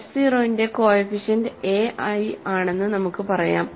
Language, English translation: Malayalam, Let us say coefficients of f 0 are a i